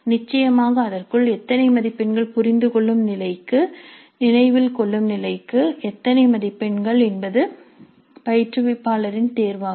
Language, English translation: Tamil, Of course within that how many marks to understand level, how many marks to the remember level is also the instructor